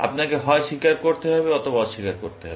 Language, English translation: Bengali, You have to either, confess or you have to deny